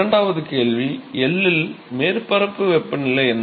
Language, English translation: Tamil, And the second question is, what is the surface temperature at L